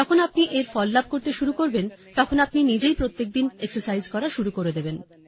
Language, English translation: Bengali, When you start getting results, you will start exercising yourself daily